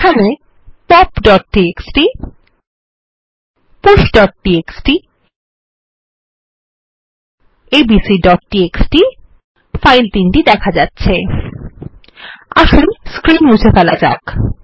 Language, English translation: Bengali, Here are the files pop.txt,push.txt and abc.txt Let us clear the screen